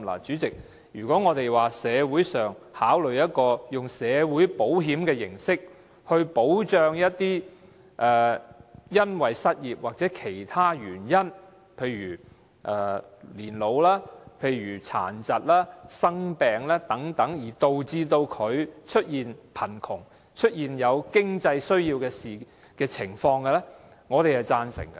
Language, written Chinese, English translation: Cantonese, 主席，如果當局考慮以社會保險形式來保障因失業或年老、殘疾、生病等其他原因而導致貧窮及有經濟需要的人士，我們是贊成的。, President if the authorities consider adopting the form of social security to safeguard people who fall into poverty or have economic needs due to unemployment or other reasons such as old age disability and illness we will give our consent